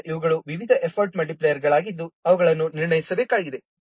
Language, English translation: Kannada, So these are the different effort multipliers they are also to be assessed